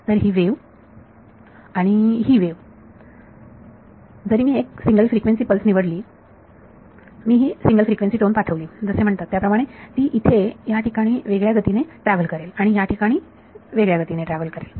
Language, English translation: Marathi, So, this wave and this wave even if I choose a single frequency pulse I send the single frequency tone as it is called it will travel at different speeds here and at different speeds over here